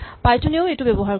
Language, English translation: Assamese, Python also uses it